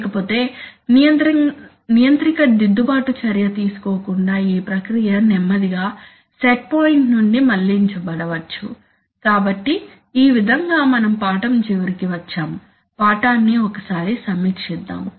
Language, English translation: Telugu, Otherwise the process may slowly drift from set point without the controller taking corrective action, so having said that, so, that brings us to the end of our lesson, let us review the lesson once